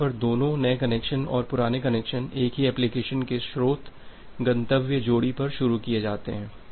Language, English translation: Hindi, Where both the new connection and older connection are initiated on the same application at the same source destination pair